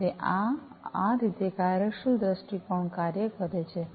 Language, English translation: Gujarati, So, this is how this functional viewpoint works